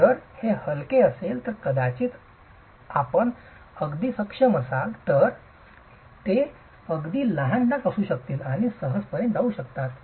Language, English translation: Marathi, If it is light you might be able to even, it may be small stains, it can even go away quite easily